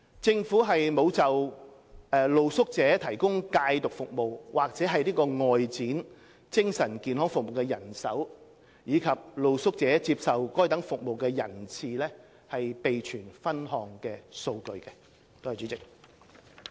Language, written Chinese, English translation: Cantonese, 政府沒有就為露宿者提供戒毒服務及外展精神健康服務的人手，以及露宿者接受該等服務的人次備存分項數據。, The Government does not keep breakdown figures on the manpower for the provision of drug rehabilitation services and outreaching mental health services for street sleepers nor on the number of street sleepers receiving such services